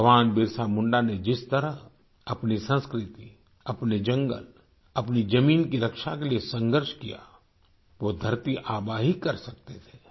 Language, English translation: Hindi, The way Bhagwan Birsa Munda fought to protect his culture, his forest, his land, it could have only been done by 'Dharti Aaba'